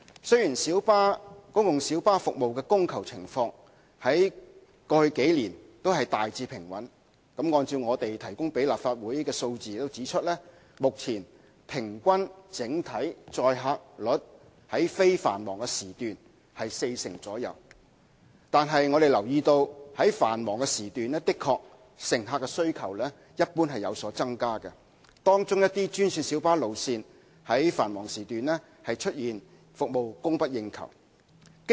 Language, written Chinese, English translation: Cantonese, 雖然公共小巴服務的供求情況在過去數年大致平穩——按照當局向立法會提供的數字顯示，公共小巴目前平均整體載客率在非繁忙時段是四成左右——但我們留意到在繁忙時段，乘客需求一般而言確實有所增加，而一些專線小巴路線在繁忙時段更出現服務供不應求的情況。, The demand and supply of PLB services have remained generally stable over the past few years . According to the figures provided by the authorities to the Legislative Council the overall average occupancy rate of PLBs during non - peak periods is about 40 % . However we have noticed that passenger demand during peak periods has actually increased in general and services of some green minibuses GMBs routes are even insufficient to cope with demand during peak periods